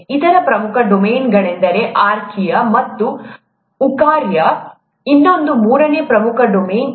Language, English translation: Kannada, The other major domain is archaea, and eukarya, is the other, the third major domain